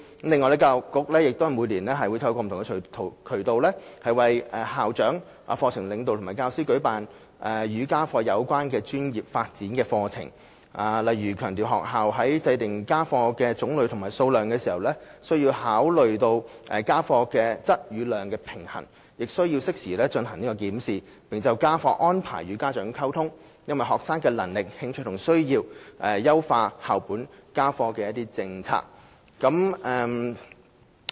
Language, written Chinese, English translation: Cantonese, 此外，教育局每年均透過不同渠道，為校長、課程領導及教師舉辦與家課有關的專業發展課程，例如強調學校在訂定家課種類和數量時，須考慮家課質與量的平衡，亦須適時進行檢視，並就家課安排與家長溝通，因應學生的能力、興趣和需要，優化校本家課政策。, Besides the Education Bureau will organize schoolwork - related professional development programmes every year for school principals curriculum leaders and teachers through various channels such as stressing the need for schools to consider the balance between schoolwork quantity and quality in determining the types and quantity of schoolwork to conduct timely review to communicate with parents on schoolwork arrangements and to improve its school - based homework policy based on students abilities interests and needs